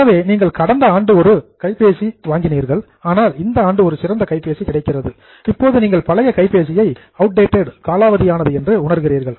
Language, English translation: Tamil, So, you are aware that last year you purchased a new mobile, but this year now there is a better mobile available, so you feel the old mobile is outdated